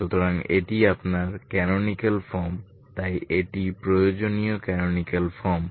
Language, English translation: Bengali, So this is your canonical form so these is the required canonical form this is the required canonical form